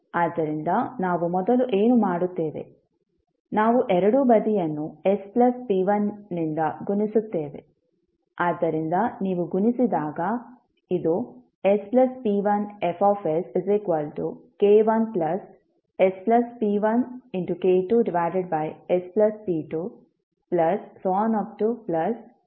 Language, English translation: Kannada, So, what we will do first, we will multiply both side by s plus p1